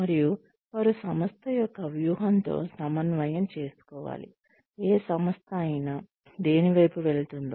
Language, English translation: Telugu, And, they have to be aligned, with the strategy of the organization, with whatever the organization, is heading towards